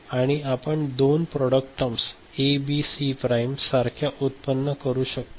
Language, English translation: Marathi, And two product terms we can generate like A, B, C prime